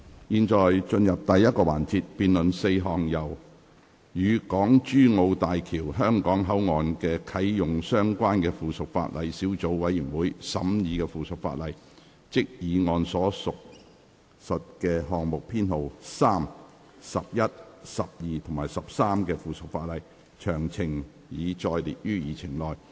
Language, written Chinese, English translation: Cantonese, 現在進入第一個環節，辯論4項由"與港珠澳大橋香港口岸的啟用相關的附屬法例小組委員會"審議的附屬法例，即議案所述的項目編號3、、及的附屬法例，詳情已載列於議程內。, We now proceed to the first session to debate the four items of subsidiary legislation scrutinized by the Subcommittee on Subsidiary Legislation relating to the Commissioning of the Hong Kong - Zhuhai - Macao Bridge Hong Kong Port that is the subsidiary legislation of item numbers 3 11 12 and 13 referred to in the motion . Details are set out in the Agenda